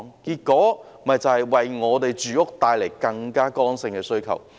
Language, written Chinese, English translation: Cantonese, 結果便為住屋帶來更多剛性的需求。, As a result this has brought about more rigid demands for housing